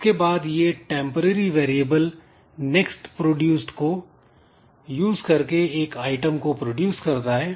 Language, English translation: Hindi, So, it is producing an item in some temporary variable say next produced